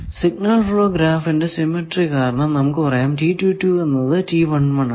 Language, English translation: Malayalam, Now, in the signal flow graph what will be these